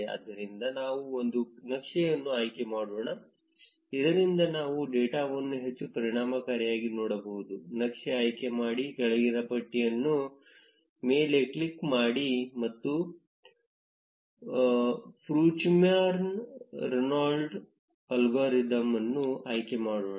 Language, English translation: Kannada, Therefore, let us choose a layout so that we can see the data more efficiently, click on choose a layout drop down menu and select Fruchterman Reingold algorithm